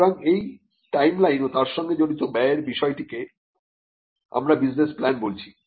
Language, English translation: Bengali, So, an understanding of the timeline involved, and the cost involved is something what we call a business plan